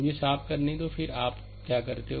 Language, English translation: Hindi, Let me clean it, then what you do